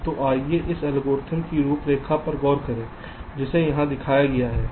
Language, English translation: Hindi, so let us look into the outline of this algorithm which has been shown here